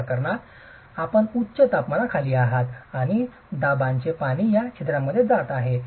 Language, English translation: Marathi, In this case you are under high temperatures and pressure water is going into these pores